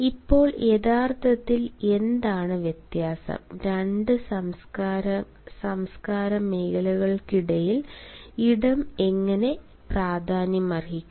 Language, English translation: Malayalam, now, what is actually the difference and how space matters between two culture zones